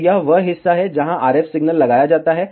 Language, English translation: Hindi, So, this is this is the ah part, where the RF signal is applied